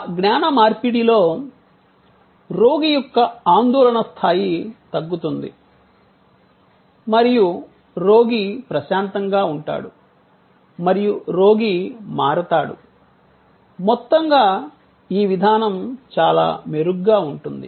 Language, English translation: Telugu, In that knowledge exchange, the anxiety level of the patient will come down and that the patient is calm and the patient is switched, on the whole the procedure will go much better